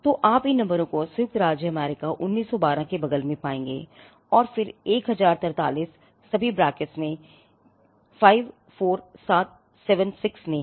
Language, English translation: Hindi, So, you will find these numbers next to United States 1912, then there is 1043 all in brackets 54, 76